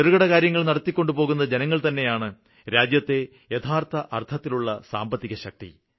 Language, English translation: Malayalam, The people engaged in small enterprises give strength to the nation's economy